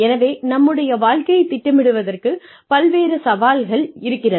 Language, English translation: Tamil, So, various challenges to planning our careers